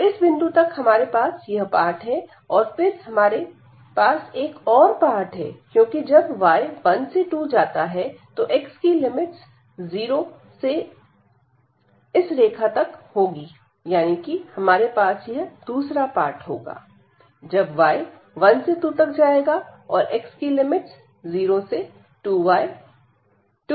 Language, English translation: Hindi, So, up to this point we have this and then we will have one more part because when y goes from 1 to 2, then the limits of x will be from 0 to this line; that means, we will have another part here when y goes from 1 to 2 the limits of x will be again from 0 to, but now it exists exit from the line; that means, there x is 2 minus y